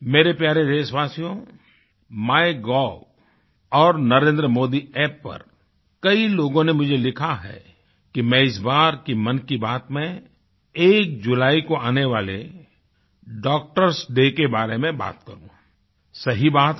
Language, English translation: Hindi, My dear countrymen, many of you have urged me on My gov and Narendra Modi app to mention Doctor's Day, the 1st of July